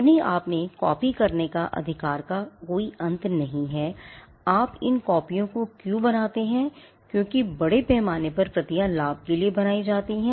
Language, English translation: Hindi, The right to copy in itself is not an end because why do you make these copies the copies are largely made to exploit for profit